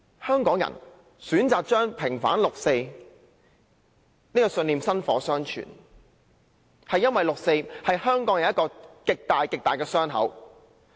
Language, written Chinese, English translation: Cantonese, 香港人選擇把平反六四這個信念薪火相傳，因為六四是香港人一個極巨大的傷口。, Hong Kong people choose to pass down the vindication of the 4 June incident because for them it is a huge wound